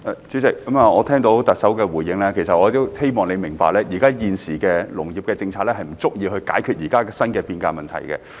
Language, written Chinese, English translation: Cantonese, 主席，我聽到特首的回應，我希望她明白現時的農業政策不足以解決現時新的變革問題。, President after hearing the Chief Executives response I hope she understands that the existing agricultural policies are inadequate in addressing the current changes